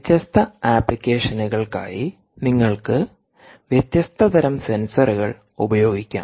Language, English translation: Malayalam, you can you different types of sensors for different applications